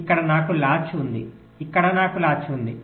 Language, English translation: Telugu, ok, so here i have a latch, here i have a latch